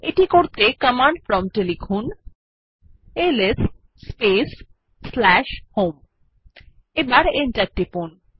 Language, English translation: Bengali, To do this, please type the at the command prompt ls space / home and press Enter